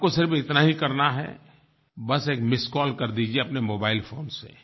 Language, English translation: Hindi, All you have to do is just give a missed call from your mobile phone